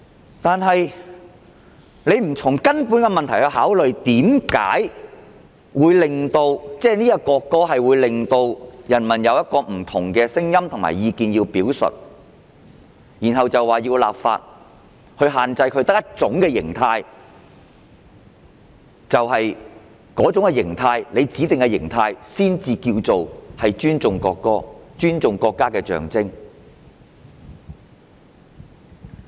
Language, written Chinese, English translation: Cantonese, 可是，他們不從問題的根源考慮為何人民對這項《條例草案》有不同的聲音和意見，之後繼續立法，限制人民只能有一種形態，只有政府指定的形態才算是尊重國歌、尊重國家的象徵。, However without considering from the root of the problem why people have different voices and views on this Bill they proceeded with the legislation restricting people to only one pattern of behaviour . Only the one specified by the Government is regarded as respectful to the national anthem the symbol of the country